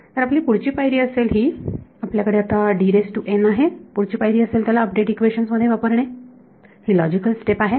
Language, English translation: Marathi, So, our next step is we have got D n the next step is going to be put it into update equation right that is a logical next step